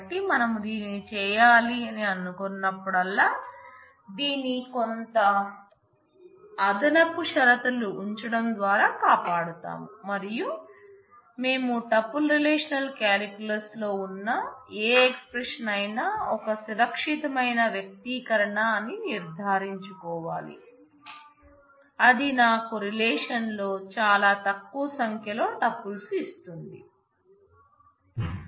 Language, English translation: Telugu, So, whenever we want to do this we would like to guard this by putting some additional condition and we have to make sure that any expression that we have in tuple relational calculus is a safe expression, in the sense that it does give me finite number of tuples in the relation